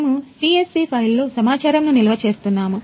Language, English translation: Telugu, We are storing the data in CSV file